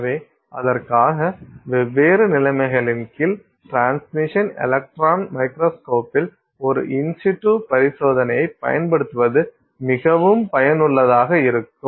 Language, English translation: Tamil, So, for that it is very useful for us to use, do an in situ experiment in the transmission electron microscope, under different conditions